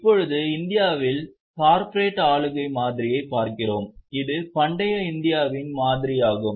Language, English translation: Tamil, Now we look at the corporate governance model in India